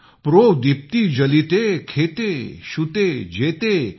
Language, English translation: Marathi, ProdeeptiJaliteKhete, Shutee, Jethe